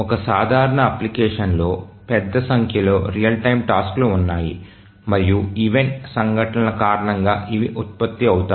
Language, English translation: Telugu, In a typical application there are a large number of real time tasks and these get generated due to event occurrences